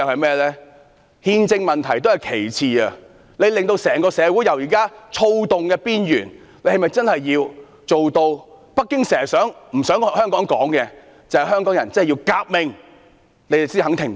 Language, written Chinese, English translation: Cantonese, 其實憲政問題亦屬其次，最慘的是把現時社會在躁動邊緣推到北京政府一直不希望香港人提到的革命之上，政府才肯停止。, In fact the constitutional problem comes only the second . The worst thing is that the Government is unwilling to stop until the present social uproars turn into a revolution something the Beijing Government does not want Hongkongers to mention